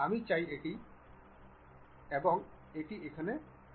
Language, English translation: Bengali, I would like to move it drag and place it here